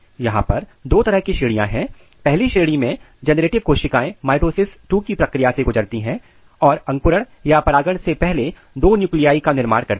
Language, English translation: Hindi, Here there are two category, in first category the generative nuclei they undergo the process of mitosis II and generate 2 nuclei before the germination or before the pollination